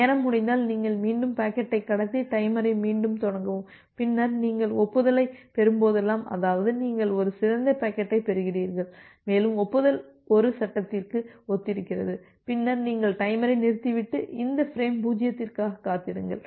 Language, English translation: Tamil, If a timeout occurs, then you transmit the packet again and start the timer again and then whenever you are receiving the acknowledgement; that means, you are receiving a non corrupted packet and you have received the acknowledgement corresponds to frame 1; then you stop the timer and wait for this frame 0